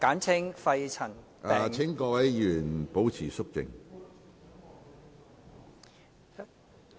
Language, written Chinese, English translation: Cantonese, 請各位議員保持肅靜。, Will Members please keep quiet